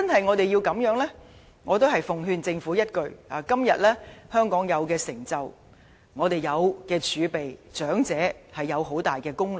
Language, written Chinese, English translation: Cantonese, 我奉勸政府一句：今天香港享有的成就，我們擁有的儲備，長者有很大功勞。, I sincerely urge the Government to bear in mind that Hong Kongs achievement and wealth today are the fruits of the elderly peoples sweat and toil in the past